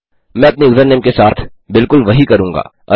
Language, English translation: Hindi, I will do exactly the same with our username